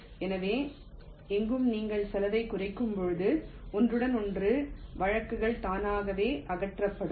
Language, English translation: Tamil, so anywhere when you are minimizing the cost, the overlapping cases will get eliminated automatically